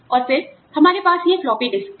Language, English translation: Hindi, And then, we had these floppy disks